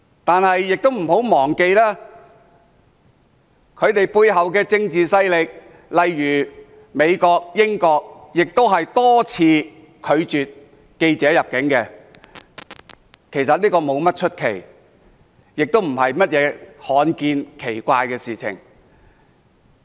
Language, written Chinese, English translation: Cantonese, 但大家不要忘記，他們背後的政治勢力，美國、英國也多次拒絕記者入境，其實不足為奇，也並非甚麼罕見或奇怪的事。, We should not forget the political forces behind . The United States and the United Kingdom have also repeatedly refused the entry of foreign journalists before . There is nothing uncommon or strange about it